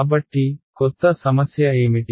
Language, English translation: Telugu, So, what is the new complication